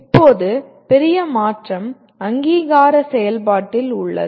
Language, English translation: Tamil, Now the major change is in the process of accreditation